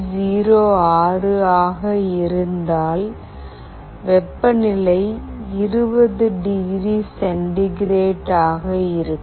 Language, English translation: Tamil, 06 then the temperature is 20 degree centigrade